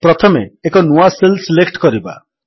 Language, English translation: Odia, First let us select a new cell